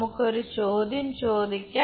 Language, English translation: Malayalam, Now, let us ask next question